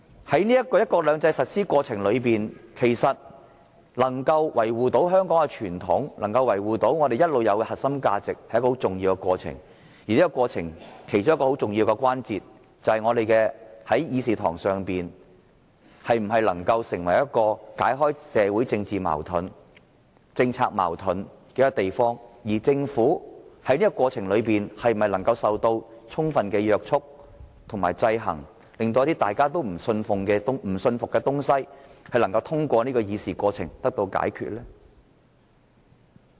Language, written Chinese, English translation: Cantonese, 在"一國兩制"的實施過程中，維護香港的傳統和長久以來的核心價值十分重要，而其中一個重要關鍵，就是我們的議事堂能否解開社會和政治矛盾，政府又是否受到充分約束和制衡，令市民不表信服的事項能夠透過立法會的議事過程解決。, During the implementation of one country two systems it is important to maintain the tradition of Hong Kong and safeguard our long - established core values . The key lies in whether this Council can resolve social and political conflicts and whether the Government is sufficiently restrained and checked so that any unconvincing issues can be addressed through the discussion of the Legislative Council